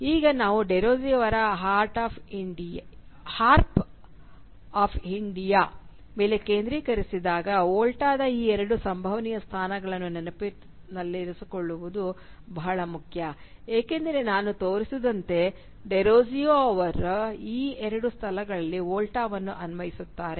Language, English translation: Kannada, And when we focus on Derozio’s “Harp of India” it is important to keep in mind these two possible positions of the Volta because, as I will show, Derozio applies the Volta in both these places